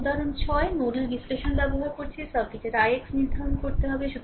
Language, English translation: Bengali, Then example 6 are using nodal analysis, you have to determine i x right of the circuit